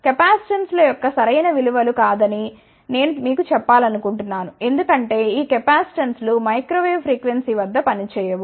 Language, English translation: Telugu, I just want to tell you those are not right values of the capacitances, because these capacitances do not work at microwave frequency